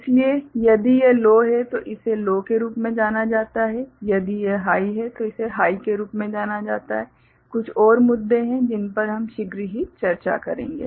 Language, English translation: Hindi, So, if it is low then it is sensed as low, if it is high it is sensed as high, there are some more issues we shall shortly discuss